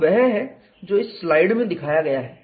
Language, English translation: Hindi, So, that is what is shown in this slide